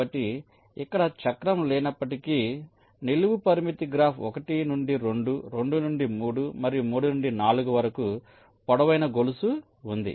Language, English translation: Telugu, so here though, there is no cycle, but there is a long chain in the vertical constraint graph: one to two, two to three and three to four